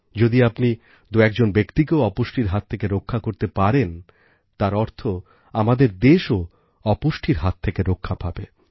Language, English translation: Bengali, If you manage to save a few people from malnutrition, it would mean that we can bring the country out of the circle of malnutrition